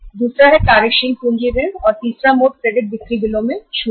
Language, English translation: Hindi, Second is working capital loans and third mode is discounting of credit sales bills